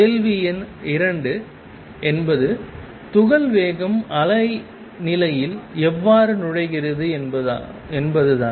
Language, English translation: Tamil, And question number 2 is how is the speed of particle enters the wave picture